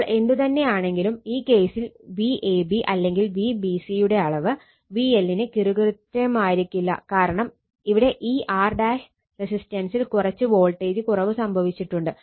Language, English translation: Malayalam, So, anyway, so in this case your, what you call in this case V ab or V bc, their magnitude not exactly equal to the your what you call the because there is some voltage drop will be there in this R in the resistance right